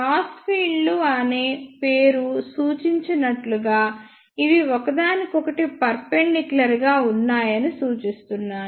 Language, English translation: Telugu, As the name crossed field itself suggest that the fields are perpendicular to each other